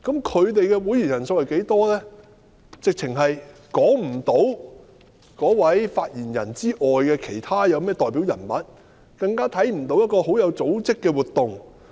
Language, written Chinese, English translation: Cantonese, 除了發言人外，實在說不出有甚麼其他代表人物，更看不到有甚麼很有組織的活動。, Apart from the spokesperson no other representative figures can actually be named not to mention any organized activities